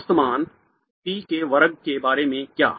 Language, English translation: Hindi, What about the average value p squared